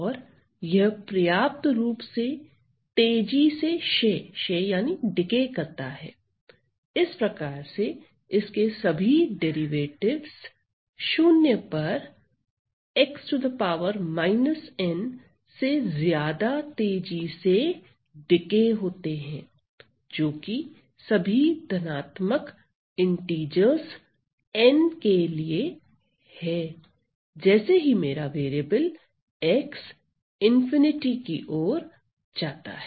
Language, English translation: Hindi, And it decays sufficiently, it decays sufficiently rapidly such that all its derivatives; all its derivatives decays to 0 faster than x to the power minus N that is for all integers N positive right as my variable X goes to infinity right